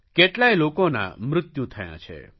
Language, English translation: Gujarati, Many people lost their lives